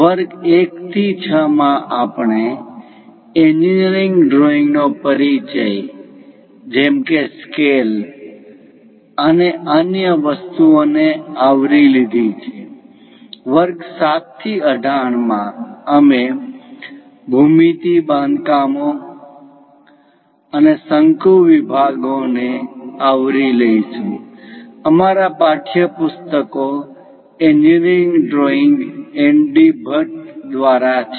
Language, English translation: Gujarati, In the lecture 1 to 6, we have covered the basics of engineering drawing like scales and other things, from lecture 7 to 18; we will cover geometry constructions and conic sections; our textbooks are by N